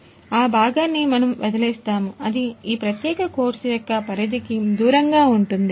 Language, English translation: Telugu, So, that part we will leave out you know it is going to be out of the scope of this particular course